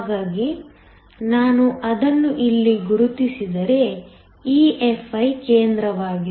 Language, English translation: Kannada, So if I mark it here, EFi is the center